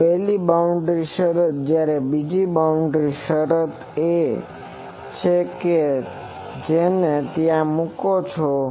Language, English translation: Gujarati, So, this is the first boundary condition the second boundary condition is that you put it there